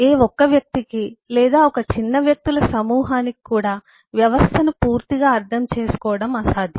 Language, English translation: Telugu, it is impossible for any single individual, or even for a small group of individuals, to comprehend, understand the system in totality